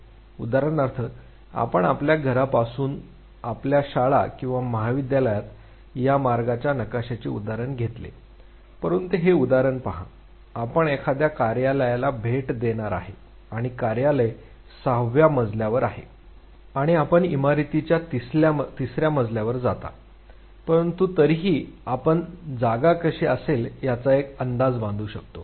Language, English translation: Marathi, Say for instance, we took the example of the this route map from your house to your school or college, but take example say you are a visiting office area which is say spread into six floors and you go on the third floor of the building, but still you can make a sense of how the space would be